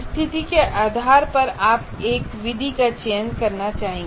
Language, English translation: Hindi, Depending on the situation, you want to use a method